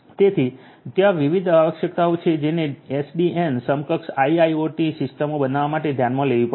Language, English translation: Gujarati, So, there are different requirements which will have to be taken into account to build SDN enabled IIoT systems